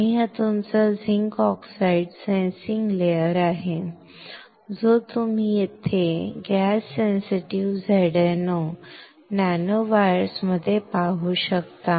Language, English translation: Marathi, And this one this one is your zinc oxide sensing layer you can see here in gas sensitive ZnO nanowires, right